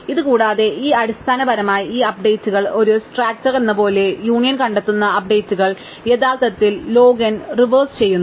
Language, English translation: Malayalam, In addition, these essentially this updates as in a heap, the updates the union find reverse is actually log n